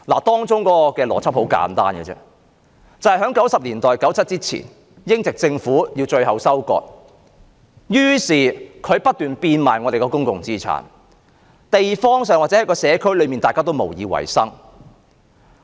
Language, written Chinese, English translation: Cantonese, 當中的邏輯很簡單，就是在1990年代 ，1997 年前，英國殖民政府要作最後收割，於是它不斷變賣我們的公共資產，導致社區裏大家都無以為生。, The logic therein is simple . In the 1990s before 1997 the British Colonial Government wanted to reap its last harvest . It thus kept selling our public properties and people had nothing to get by